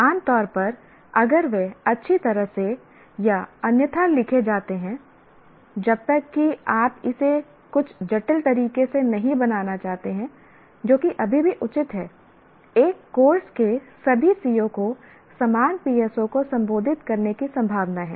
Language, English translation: Hindi, Generally what happens is if they are written even well or otherwise unless you want to make it in some complicated way which is but just still justifiable, all the COs of a course are likely to address the same PSO